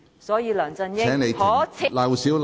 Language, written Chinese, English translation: Cantonese, 所以，梁振英可耻。, Therefore LEUNG Chun - ying is despicable